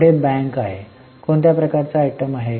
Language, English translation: Marathi, So, it is which type of item